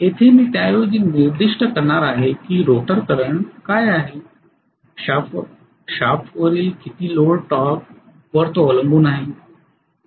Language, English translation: Marathi, So here I am going to rather specify what is the rotor current depending upon how much is the load torque on the shaft